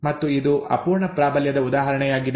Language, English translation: Kannada, And this is an example of incomplete dominance